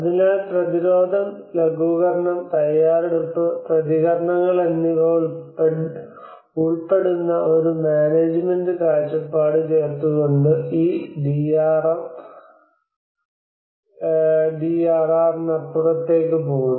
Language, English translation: Malayalam, So it goes that this DRM goes beyond the DRR by adding a management perspective which involves prevention, mitigation, preparedness, and with response